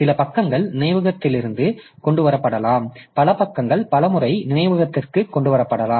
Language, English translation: Tamil, Some page may be brought into memory several times